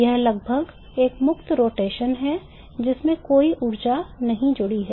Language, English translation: Hindi, It is almost a free rotation with no energy associated with it